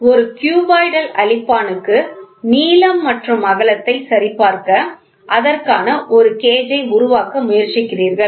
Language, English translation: Tamil, You get a cuboidal eraser try to make a gauge for it, to check for length and width